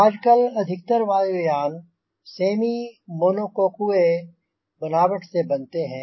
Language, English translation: Hindi, nowadays, most of the aircrafts are made of semi monocoque construction